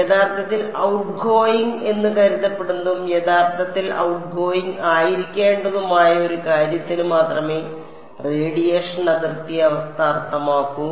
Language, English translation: Malayalam, I have the radiation boundary condition make sense only for something which is truly supposed to be outgoing and what is truly supposed to be outgoing